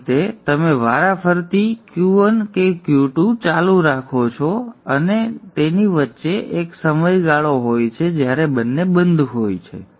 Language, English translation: Gujarati, So in this fashion you have alternately Q1, Q2, Q1, Q2 being on and in between there is a period of time when both are off